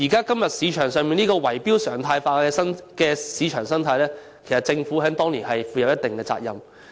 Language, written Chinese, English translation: Cantonese, 對於現時圍標常態化的市場生態，其實政府當年須負上一定責任。, As regards the current market ecology in which bid - rigging has become a norm the Government should actually bear some responsibility for what it did back in the old days